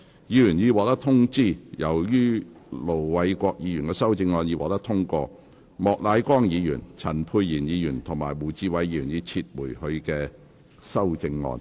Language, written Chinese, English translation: Cantonese, 議員已獲通知，由於盧偉國議員的修正案獲得通過，莫乃光議員、陳沛然議員及胡志偉議員已撤回他們的修正案。, Members have already been informed as Ir Dr LO Wai - kwoks amendment has been passed Mr Charles Peter MOK Dr Pierre CHAN and Mr WU Chi - wai have withdrawn their amendments